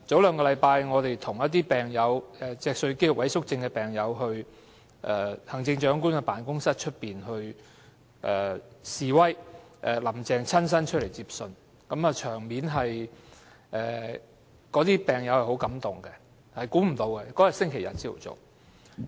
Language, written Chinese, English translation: Cantonese, 兩星期前，我們與一些脊髓肌肉萎縮症病友到行政長官辦公室外示威，林鄭月娥親身出來接信，場面令病友感動，當天是星期天早上，大家也估不到有這場面。, Two weeks ago we accompanied some patients with Spinal Muscular Atrophy SMA to stage a protest outside the Chief Executives Office and Carrie LAM came out to receive the letter in person . That was a touching moment . It was a Sunday morning and we had not expected that